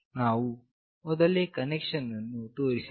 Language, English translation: Kannada, We have already shown you the connection